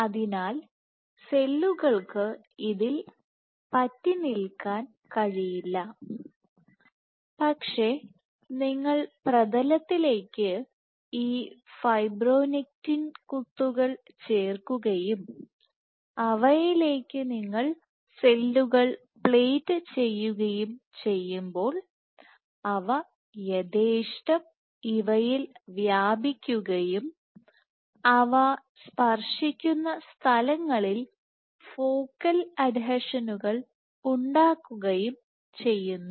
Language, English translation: Malayalam, So, cells cannot stick on this, but when you plate it when you functionalize the substrate to these fibronectin dots and you plate cells, they would happily spread on these and they will make focal adhesions at the site of contact